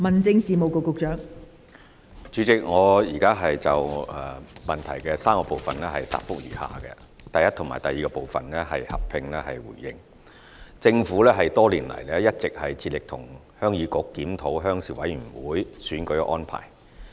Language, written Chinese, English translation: Cantonese, 代理主席，我現就質詢的3個部分答覆如下：一及二政府多年來一直致力與鄉議局檢討鄉事委員會選舉安排。, Deputy President my reply to the three parts of the question is as follows 1 and 2 The Government has been striving to work with the Heung Yee Kuk HYK on reviewing the arrangements for the elections of Rural Committees RCs